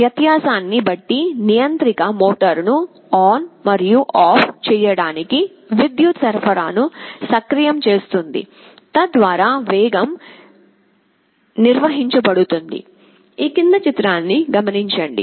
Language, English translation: Telugu, Depending on the difference the controller will be activating the power supply of the motor to turn it on and off, so that speed is maintained